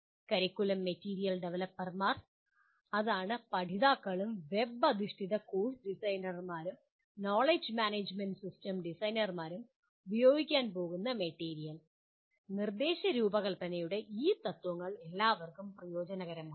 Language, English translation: Malayalam, Curriculum material developers, that is the material that is going to be used by the learners and web based course designers, knowledge management system designers, these principles of instructional design would be beneficial to all of them